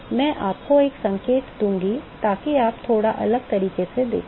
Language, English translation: Hindi, I will give you a hint, so you can look at in a slightly different way